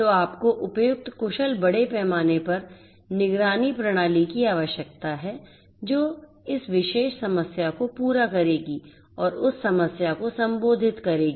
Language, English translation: Hindi, So, you need to have you know suitable efficient large scale monitoring system that will cater to this particular problem and an addressing that problem